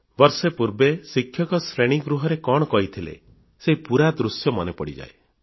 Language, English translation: Odia, A year ago, what the teacher had taught in the classroom, the whole scenario reappears in front of you